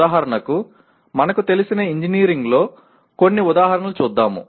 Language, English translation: Telugu, For example, let us look at some examples in engineering that we are familiar with